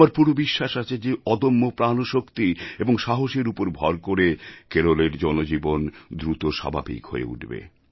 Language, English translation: Bengali, I firmly believe that the sheer grit and courage of the people of the state will see Kerala rise again